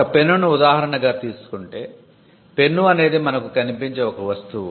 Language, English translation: Telugu, Take a pen for instance, the pen has a boundary in time and space